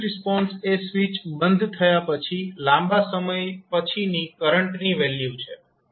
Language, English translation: Gujarati, Forced response is the value of the current after a long time when the switch is closed